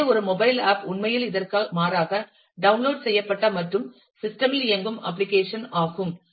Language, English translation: Tamil, So, in contrast to that a mobile app are actually, applications that are downloaded and runs on the system